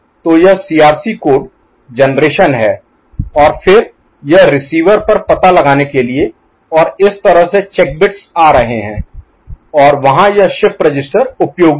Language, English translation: Hindi, So, this is the CRC code generation and then, it is at the receiver side its detection and this is the way the check bits are coming and there this shift register is useful